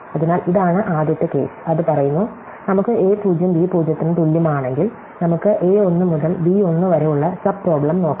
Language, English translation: Malayalam, So, this is the first case, the first case says, that we can look at if a 0 equal to b 0, we can look at this subproblem a 1 to b 1